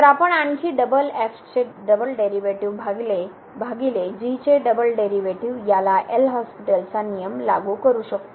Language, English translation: Marathi, So, we can further apply this L’Hospital’s rule together limit of this double derivative divided by double derivative